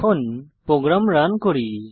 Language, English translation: Bengali, Lets run the program